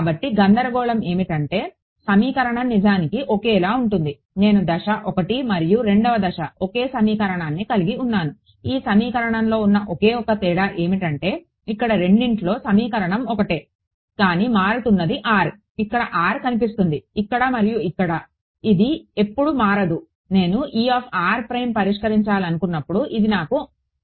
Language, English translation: Telugu, So, the confusion is that the equation is actually the same I have the same equation for step 1 and step 2; the only difference in these equation I mean the equation is the same what I am changing is r, r is appearing here, here and here this never changes when I wanted to solve for E r prime I need it